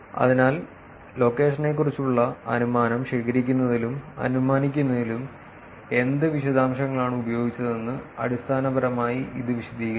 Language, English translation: Malayalam, So, basically this explains what details were used in collect and making the inference about the location